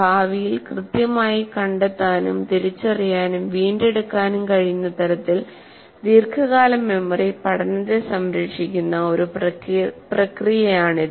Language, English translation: Malayalam, It is a process whereby long term memory preserves learning in such a way that it can locate, identify and retrieve accurately in the future